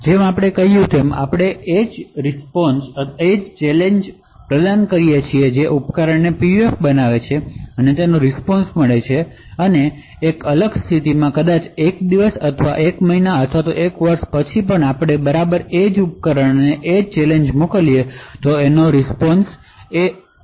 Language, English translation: Gujarati, So, as we mentioned, we provide the same challenge to the device which is having the PUF, obtain the response and in a different condition maybe after a day or after a month or after a year, we send exactly the same device and obtain the response